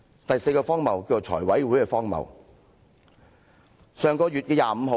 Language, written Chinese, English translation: Cantonese, 第四個荒謬，叫財務委員會的荒謬。, The fourth absurdity is called the absurdity of the Finance Committee